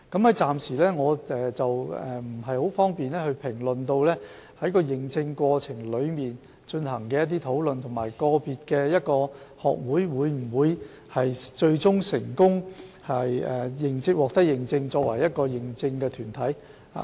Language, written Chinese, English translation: Cantonese, 我暫時不便評論在認證過程中所進行的討論，以及個別學會最終能否成功獲認證為認可團體。, I am not in a position to comment on the discussion details of the accreditation process and whether individual society will be recognized as an accredited body in the end